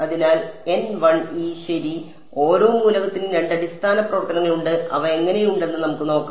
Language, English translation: Malayalam, So, N e 1 ok so, each element has two basis functions and let us see what they look like